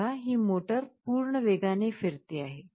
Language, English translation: Marathi, You see motor is rotating in the full speed